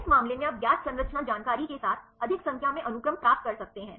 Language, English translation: Hindi, In this case you can get more number of sequences with known structure information